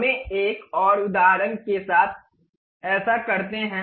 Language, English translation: Hindi, Let us do that with another example